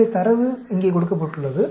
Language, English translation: Tamil, So, the data is given here